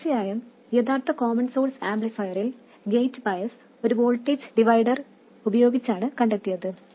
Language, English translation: Malayalam, And of course the original common source amplifier, the gate bias was derived using a voltage divider